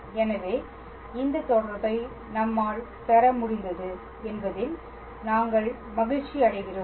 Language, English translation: Tamil, So, we are glad that we were able to derive this relation